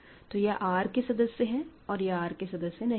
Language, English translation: Hindi, So, these are elements of R; these are not in R